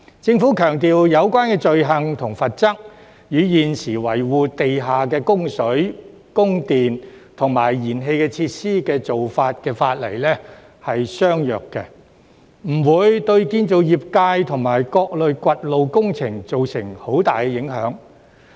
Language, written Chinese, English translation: Cantonese, 政府強調有關罪行和罰則，與現時維護地下的供水、供電和燃氣設施的法例相若，不會對建造業界和各類掘路工程造成很大影響。, The Government stresses that the offences and penalties which are similar to those provided for under the existing legislation for the maintenance of underground water electricity and gas facilities will not have a significant impact on the construction sector and all types of road excavation works